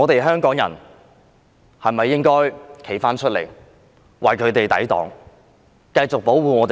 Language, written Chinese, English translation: Cantonese, 香港人現時應否站出來為我們的青年人抵擋，繼續保護他們？, Should Hong Kong people now defend these young people and continue to protect them?